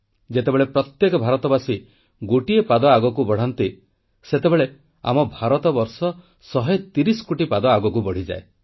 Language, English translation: Odia, When every Indian takes a step forward, it results in India going ahead by a 130 crore steps